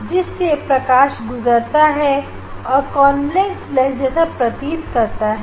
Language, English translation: Hindi, light will pass through that and you will get the action like convex lens